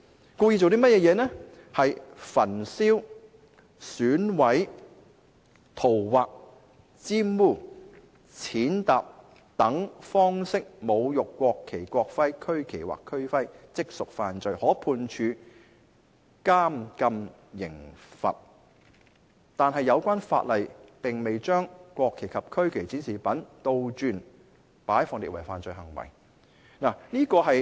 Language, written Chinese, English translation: Cantonese, 根據有關條文，是焚燒、毀損、塗劃、玷污、踐踏等方式侮辱國旗、國徽、區旗或區徽，即屬違法，可判處監禁刑罰，但有關法例並未將國旗及區旗展示品倒轉擺放列為犯罪行為。, Under the relevant provisions any person who desecrates the national and regional flags or emblems by burning mutilating scrawling on defiling or trampling on them commits an offence and may be liable to imprisonment but inverting the mock - ups of the national flags and the regional flags is not set out as a criminal offence in these ordinances